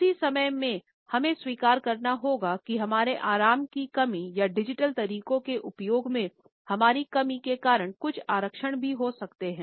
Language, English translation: Hindi, At the same time we have to admit that our lack of comfort or our lack of competence in the use of digital methods may also result in certain reservations